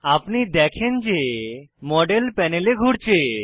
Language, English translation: Bengali, We can see that the model is spinning on the panel